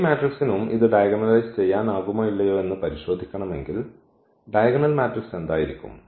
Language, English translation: Malayalam, So, for this matrix also if you want to check whether it can be diagonalized or not and what will be the diagonal matrix